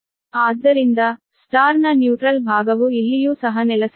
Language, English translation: Kannada, so neutral side of the star should be grounded